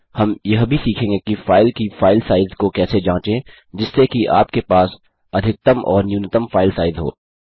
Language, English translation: Hindi, We will also learn how to check the file size of the file so you can have a maximum or minimum file size